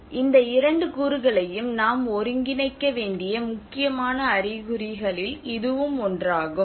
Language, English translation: Tamil, So this is one of the important indication that we need to integrate these two components